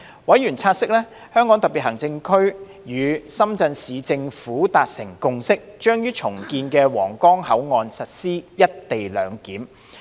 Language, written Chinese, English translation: Cantonese, 委員察悉，香港特別行政區與深圳市政府達成共識，將於重建的皇崗口岸實施"一地兩檢"。, Members noted that the Hong Kong Special Administrative Region and the Shenzhen Municipal Government had reached consensus that co - location arrangement would be implemented at the redeveloped Huanggang Port